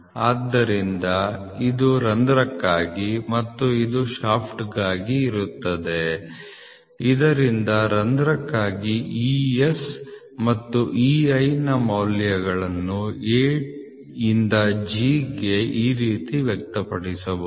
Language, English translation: Kannada, So, this is for a hole and this is for a shaft so the values of ES and EI for a hole can be expressed from A to G can be expressed like this